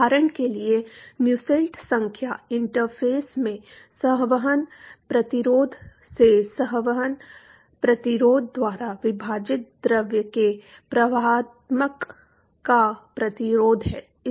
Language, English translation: Hindi, For example, Nusselt number is the resistance to conduction the fluid divided by convection resistance to convection across the interface